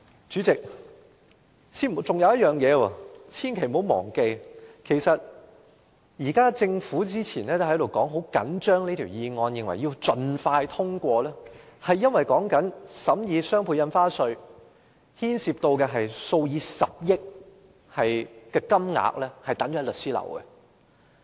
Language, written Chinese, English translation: Cantonese, 此外，千萬不要忘記，政府早前十分重視《條例草案》，認為必須盡快通過，因為在審議雙倍從價印花稅期間，牽涉數以十億元的稅款存放在律師樓。, Furthermore we should not forget that the Government attached great importance to the Bill earlier and considered that it must be passed expeditiously because stamp duty amounting to billions of dollars have been held by law firms during the scrutiny of the Doubled Ad Valorem Stamp Duty